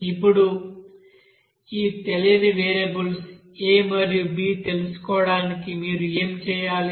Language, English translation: Telugu, Now to find out this unknown variables of a and unknown coefficient of a and b here, what you have to do